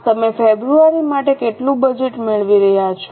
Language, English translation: Gujarati, How much budget you are getting for February